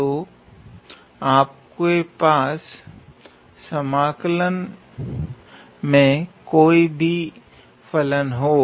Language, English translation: Hindi, So, whatever function you have in the integral